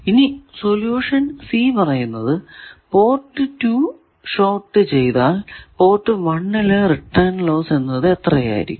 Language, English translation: Malayalam, Now, solution c it says that port 2 is shorted, what is the return loss at port 1